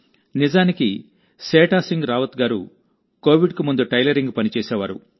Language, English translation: Telugu, Actually, Setha Singh Rawat used to do tailoring work before Covid